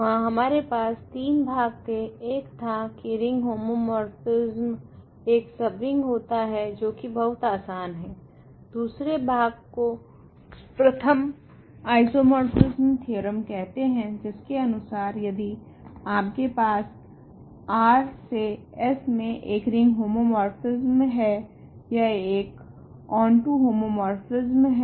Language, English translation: Hindi, We have three parts there, one is that image of a ring homomorphism is a subring which was fairly easy, second part was called the first isomorphism theorem it says that if you have a ring homomorphism from R to S it is an onto homomorphism